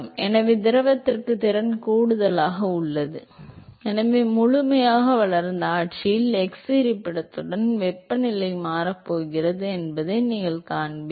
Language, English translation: Tamil, So, therefore, there is addition of capacity to the fluid and so you will see that the temperature is going to change with x location in the fully developed regime